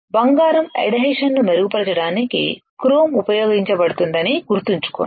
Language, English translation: Telugu, Remember chrome is used to improve the addition of gold right